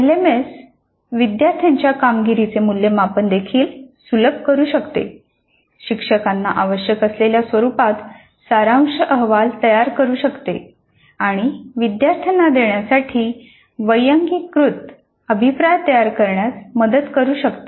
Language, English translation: Marathi, The LMS can also facilitate the evaluation of student performances, generate a summary report in the format required by the teacher and help in generating personalized feedback to the students